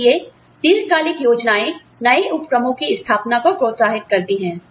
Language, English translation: Hindi, So, long term plans encourage, the setting up of new ventures